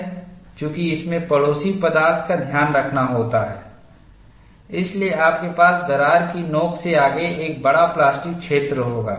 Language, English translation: Hindi, So, you have this, since this has to be taken care of by the neighboring material, you will have a larger plastic zone ahead of the crack tip